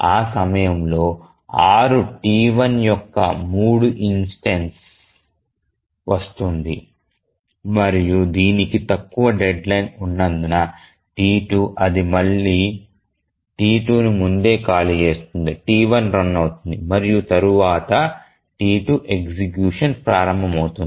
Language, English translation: Telugu, At the time instance 6, the third instance of T1 arrives and because it has a shorter deadline then the T2 it again preempts T2, T1 starts running and then T2 starts running